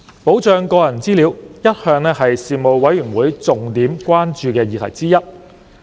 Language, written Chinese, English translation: Cantonese, 保障個人資料一向是事務委員會重點關注的議題之一。, Protection of personal data was always an issue of major concern to the Panel